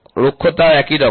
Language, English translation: Bengali, Roughness also it is the same